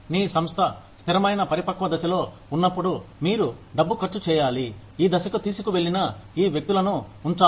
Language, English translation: Telugu, When your organization is at a stable mature stage, maybe, you need to spend money, you need to keep these people, who have taken it to that stage